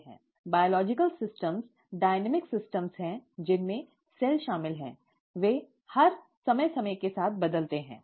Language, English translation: Hindi, Biological systems are dynamic systems, including the cell, they change with time all the all the time